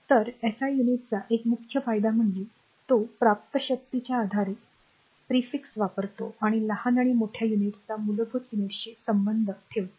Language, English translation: Marathi, So, one major advantage of the SI unit is that, it uses prefix says based on the power obtain and to relates smaller and larger units to the basic units